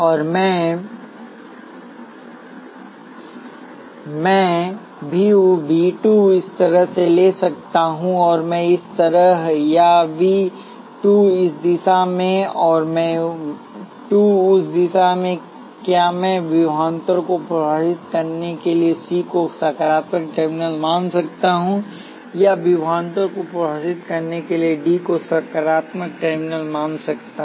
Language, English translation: Hindi, And I can take V 2 this way, and I 2 this way; or V 2 in this direction, and I 2 in that direction that is I can consider C to be the positive terminal for the defining the voltage or D to be positive terminal for this defining the voltage